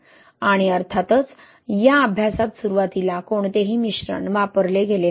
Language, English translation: Marathi, And obviously in this study no admixture was used initially